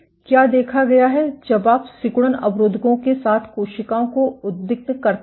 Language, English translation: Hindi, What has been observed is when you perturbed cells with contractility inhibitors